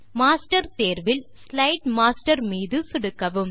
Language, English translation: Tamil, From the Main menu, click View, select Master and click on Slide Master